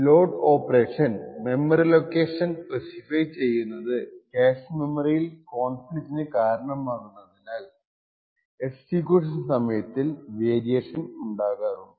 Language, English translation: Malayalam, Essentially the load installed operation to specify memory location could cause conflicts in the cache memory resulting in a variation in the execution time